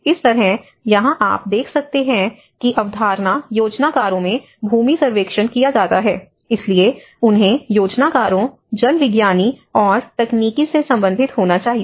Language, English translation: Hindi, So, like that here you can see that carrying out land surveys in concept planners, so they have to relate with the planners, hydrologist and the technical